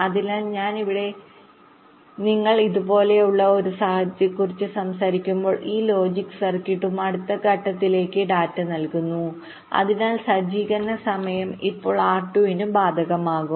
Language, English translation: Malayalam, so here, when you are talking about a scenario like this, this logic circuit is feeding data to in next stage, so that setup time will apply to r two